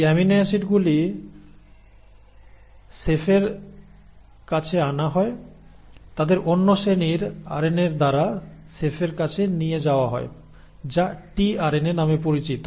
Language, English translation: Bengali, And these amino acids are brought to the chef; they are ferried to the chef by another class of RNA which is called as the tRNA